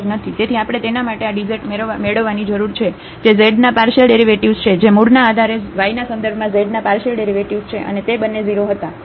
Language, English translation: Gujarati, So, for that we need to get this dz which is the partial derivative of z with respect to x partial derivative of z with respect to y at the origin which was and both of them was 0